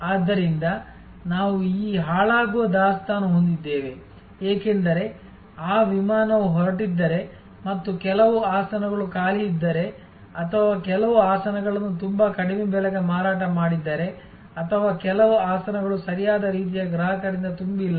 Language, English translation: Kannada, And therefore, we will have this perishable inventory, because if that flight has taken off and if some seats are vacant or if some seats have been sold at a price too low or some seats are not filled with the right kind of customer